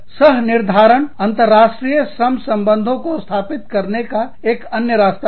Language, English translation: Hindi, Co determination is another way of establishing, international labor relations